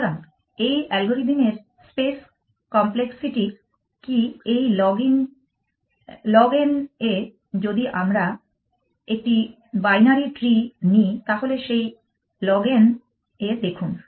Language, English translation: Bengali, So, what is the space complexity of this algorithm in a it is log n if we take a bindery tree see in that log n